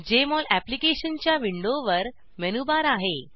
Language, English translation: Marathi, Jmol Application window has a menu bar at the top